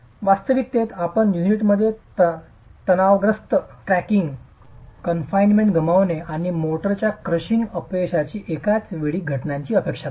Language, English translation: Marathi, In reality you expect a simultaneous occurrence of the tensile cracking in the unit and loss of confinement and the crushing failure of the motor